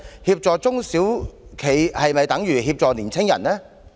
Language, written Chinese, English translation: Cantonese, 協助中小企是否等於協助年輕人？, Is assisting SMEs tantamount to assisting young people?